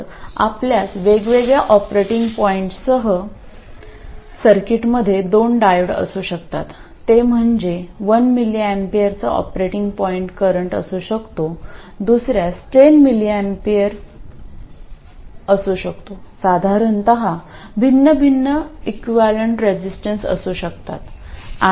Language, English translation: Marathi, So you could have two diodes in the circuit with different operating points, that is one could be having an operating point current of 1mm, the other one could have 10mmmps, they'll have different equivalent resistances in general